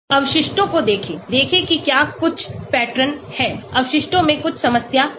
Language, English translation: Hindi, Look at the residuals, see whether there is some pattern, there is some problem in the residuals